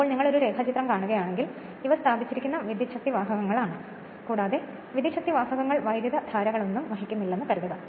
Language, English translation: Malayalam, So, just if you see the diagram here that these are the conductors placed and assuming the conductor is not carrying any currents